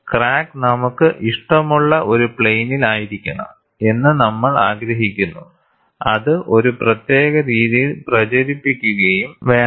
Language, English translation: Malayalam, And we want the crack to be in a plane of our choice and it should propagate in a particular fashion